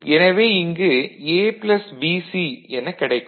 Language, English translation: Tamil, So, from this you have A and this BC was there